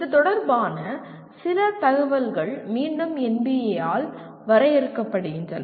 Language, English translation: Tamil, There is some information related to which is again defined by NBA